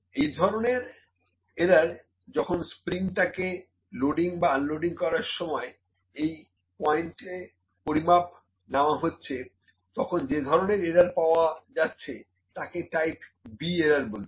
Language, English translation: Bengali, So, this kind of error when the loaded or loading or unloading of spring when the measurement is taken at this point this kind of error is type B error